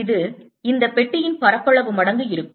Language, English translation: Tamil, this will also be area times this box